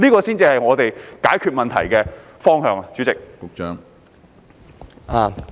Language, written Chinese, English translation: Cantonese, 這才是解決問題的應有方向。, I consider this a proper approach to resolve the problem